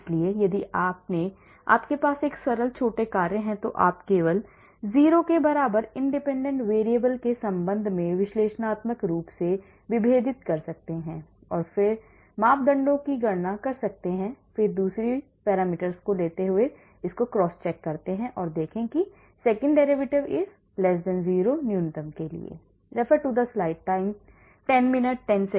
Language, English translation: Hindi, So, if you have simple small functions you can do it analytically just differentiated with respect to the independent variable equally to 0 and then calculate the parameters and then you cross check by say taking the second derivative and see whether the second derivative is>0 that is for the minimum